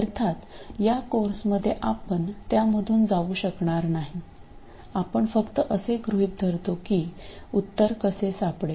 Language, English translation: Marathi, Now of course in this course we won't go through that we just assume that the solution can be found somehow